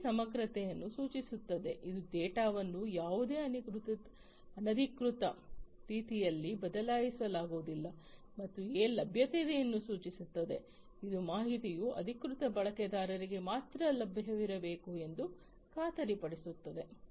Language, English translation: Kannada, I stands for integrity which ensures that the data cannot be changed in any unauthorized manner and A stands for availability which guarantees that the information must be available only to the authorized user